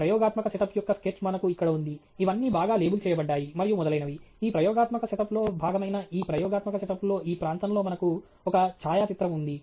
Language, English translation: Telugu, We have here the sketch of an experimental set up; it’s all well abled and so on; we have a photograph here which is part of this experimental set up, part of this region of this experimental setup